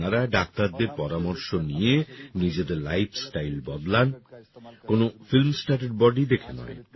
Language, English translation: Bengali, You should change your lifestyle on the advice of doctors and not by looking at the body of a film star